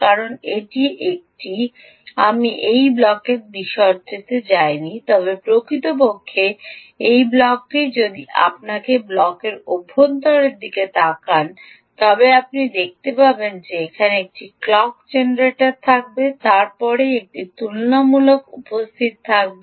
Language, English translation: Bengali, i have not gone in to the detail of this block, but indeed this block, if you look at the inside of the block, you will see that there will be a clock generator, then there will be a comparator